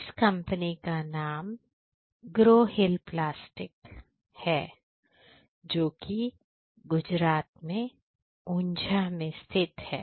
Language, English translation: Hindi, The name of the company is Growhill Plastics which is in Unjha in Gujarat